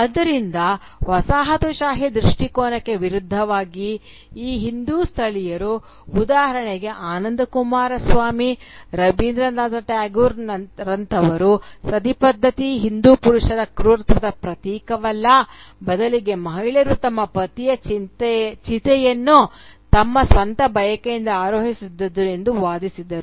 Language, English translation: Kannada, So, contrary to the colonial view, these Hindu nativists, and they included people like Rabindranath Tagore for instance, or Ananda Coomaraswany for instance, they constructed the image of the Hindu Sati not as a victim of male sadism but rather as someone who mounts the pyre of her husband out of her own volition, out of her own desire